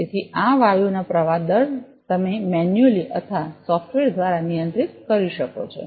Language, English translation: Gujarati, So, the flow rate of this gases you can controlled either manually or through software